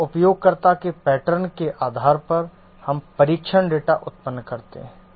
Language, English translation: Hindi, Here, based on the usage pattern, we generate test data